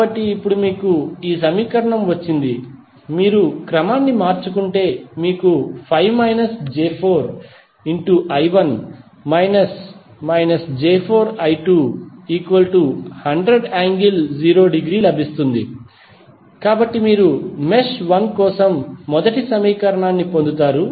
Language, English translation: Telugu, So, now you got this equation, if you rearrange you will get 5 minus 4j into I 1 minus of minus of 4j I 2, so this will become plus and then 100 would be at the other, so you will get first equation for the mesh 1